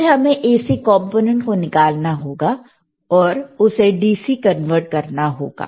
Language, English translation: Hindi, So, we have to remove the AC component, and we have to make it DC